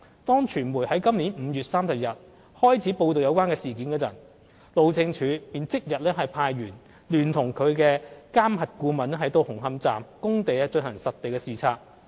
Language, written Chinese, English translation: Cantonese, 當傳媒在今年5月30日開始報道有關事件時，路政署便即日派員聯同其監核顧問到紅磡站工地進行實地視察。, As soon as the media covered the incident on 30 May this year the Highways Department sent its staff to conduct a site inspection at Hung Hom Station in collaboration with the MV Consultant